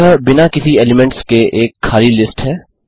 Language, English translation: Hindi, This is an empty list without any elements